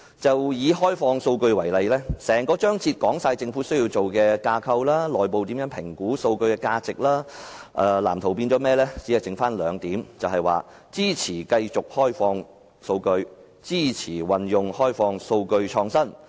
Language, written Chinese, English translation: Cantonese, 就以開放數據為例，報告內的整個章節說明政府須設立甚麼架構，以及內部應如何評估數據的價值，但在藍圖內卻變成只有兩點，便是支持繼續開放數據及支持運用開放數據創新。, Take the open data policy as an example an entire chapter in the consultancy study report is devoted to explaining what kind of framework the Government has to establish and how the value of data should be assessed internally but in the Blueprint this is reduced to just two points that is support the continuation of open data and support the use of open data in innovation